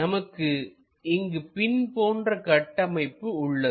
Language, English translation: Tamil, We have this kind of pin kind of structure